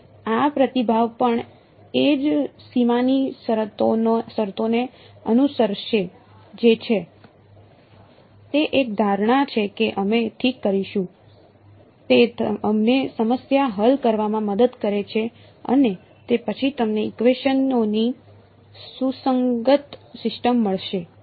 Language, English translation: Gujarati, So, this response also will follow the same boundary conditions that is; that is one assumption that we will make ok, that helps us to solve the problem and you get a consistent system of equations after that